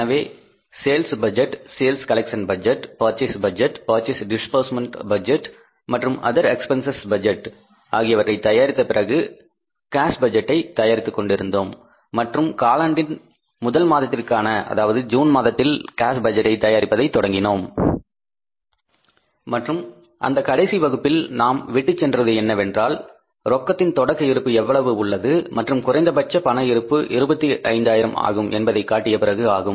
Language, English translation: Tamil, So after preparing the sales budget, sales collection budget, purchase budget and purchase disbursement budget and the other expenses budget, so we were at the cash budget and we started preparing the cash budget for the first month of the quarter, that is a month of June and where we left in that last class was that after showing that how much is opening balance of the cash and then minimum cash balance required to be kept was $25000